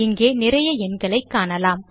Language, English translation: Tamil, So you can see quite a lot of digits here